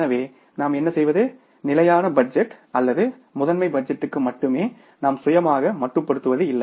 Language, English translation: Tamil, So, what we do is we don't keep ourself limited to the static budget or the master budget, rather we take the help of flexible budgets